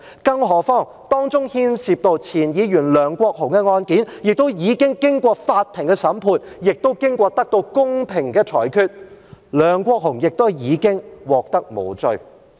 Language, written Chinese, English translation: Cantonese, 更何況，當中牽涉到前議員梁國雄的案件，已經經過法庭審判，亦得到公平的裁決，梁國雄亦已經獲判無罪。, And that is without mentioning that the case involving former Member LEUNG Kwok - hung has been tried by the Court and he has been acquitted in a fair judgment